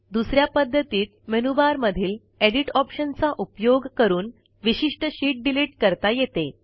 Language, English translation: Marathi, Now again click on the Edit option in the menu bar and then click on the Sheet option